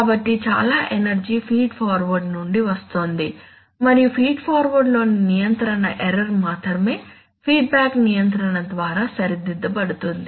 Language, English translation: Telugu, So most of the energy is coming from the feed forward and only the control error in feed forward is corrected by feedback control